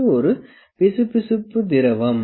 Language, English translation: Tamil, And in this we have a viscous fluid